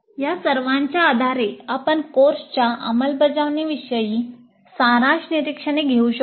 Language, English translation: Marathi, Based on all these we can make summary observations regarding the implement of the course